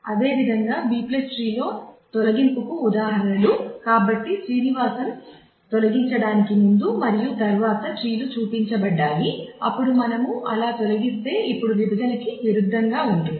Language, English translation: Telugu, Similarly, examples of deletion in B + tree; so the trees are shown before and after deletion of Srinivasan, then if we delete like that; now in case of in contrast to splitting